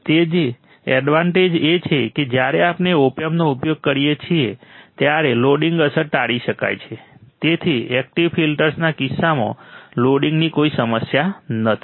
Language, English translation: Gujarati, So, the advantage is when we use a Op Amp, then the loading effect can be avoided, so no loading problem in case of active filters